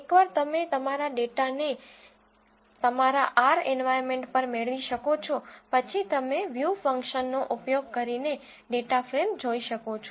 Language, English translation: Gujarati, Once you get this data onto your R environment, you can view the data frame using view function